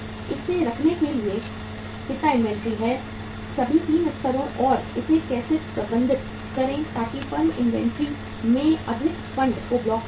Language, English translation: Hindi, How much inventory to keep it, all the 3 levels and how to manage it so that the firms do not block more funds into the inventory